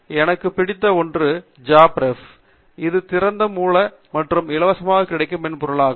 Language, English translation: Tamil, My favorite one is JabRef, which is a open source and freely available software